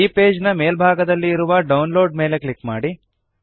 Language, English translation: Kannada, Click on Download at the top of the page